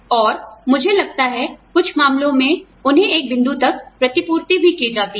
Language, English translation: Hindi, And, I think, in some cases, they are also reimbursed up to a point